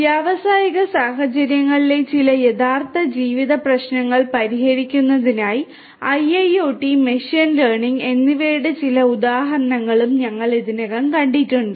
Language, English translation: Malayalam, And we have also seen a few examples of the use of IIoT and machine learning combined for addressing some machine some real life problems in industrial settings we have already seen that